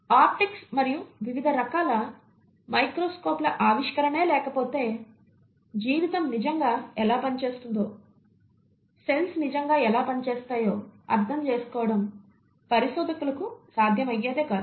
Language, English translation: Telugu, Had it not been for the optics and development of different kinds of microscopes, it would not have been possible for researchers to understand how life really works and how the cells really work